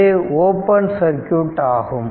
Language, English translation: Tamil, So, it is open circuit